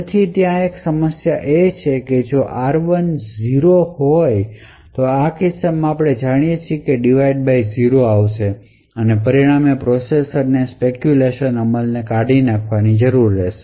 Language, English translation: Gujarati, So, there would be a problem that would occur if r1 happens to be equal to 0, in such a case we know that a divide by zero exception would be thrown and as a result the processor would need to discard the speculated execution